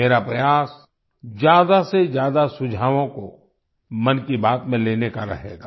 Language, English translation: Hindi, My effort will be to include maximum suggestions in 'Mann Ki Baat'